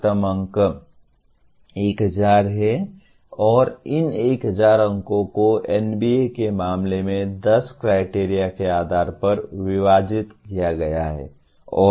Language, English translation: Hindi, The maximum marks are 1000 and these 1000 marks are divided into in case of NBA about 10 criteria